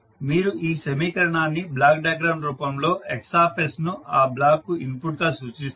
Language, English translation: Telugu, You will represent this particular equation in the form of block diagram as Xs is the input to the block